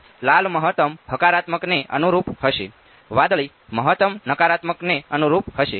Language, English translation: Gujarati, So, red will correspond to maximum positive blue will correspond to maximum negative right